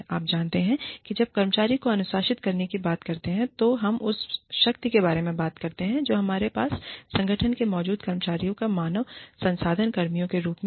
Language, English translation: Hindi, You know, when we talk about disciplining employees, we talk about the power, we have as human resources personnel, over the employees, that are in the organization